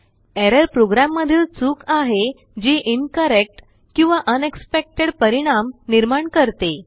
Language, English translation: Marathi, Error is a mistake in a program that produces an incorrect or unexpected result